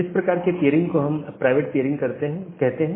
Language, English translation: Hindi, So, those kind of peering we call it or we term it as a private peering